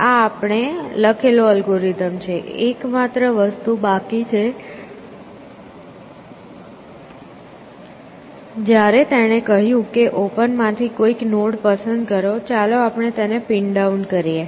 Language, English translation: Gujarati, So, that is a algorithm that we have written, so the only thing that is remains is, when he said pick some node from open, let us pin that down as well